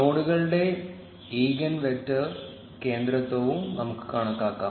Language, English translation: Malayalam, And let us also compute the eigen vector centrality of the nodes